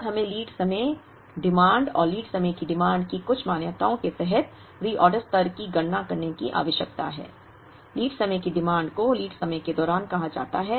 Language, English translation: Hindi, Now, we need to compute the reorder level, under certain assumptions of the lead time, the demand and the lead time demand, lead time demand is called demand during the lead time